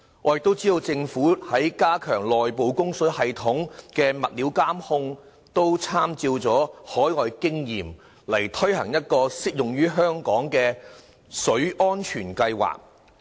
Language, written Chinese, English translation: Cantonese, 我亦知道政府在加強內部供水系統的物料監控方面參照海外經驗，推行適用於香港的"水安全計劃"。, We know that the Government would step up efforts to monitor the materials used in the inside service and by drawing on overseas experience implement a water safety plan applicable to Hong Kong